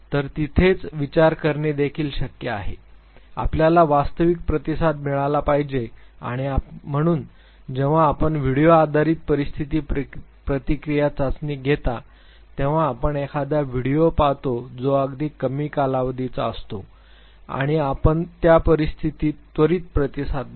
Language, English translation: Marathi, So, meta thinking is also possible there you want the true response to come and therefore, when you go for a video based situation reaction test you look at a video which is of a very short duration and you immediately respond to that very situation